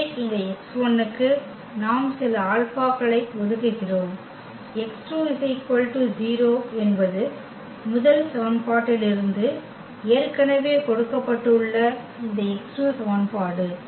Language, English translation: Tamil, So, this x 1 we are assigning some alpha for instance and this x 2 equation that is already given from the first equation that x 2 is 0